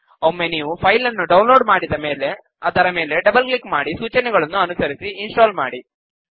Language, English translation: Kannada, Once the file is downloaded, double click on it and follow the instructions to install